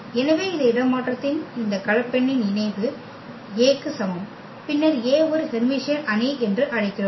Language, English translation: Tamil, So, this complex conjugate of this transpose is equal to A, then we call that A is Hermitian matrix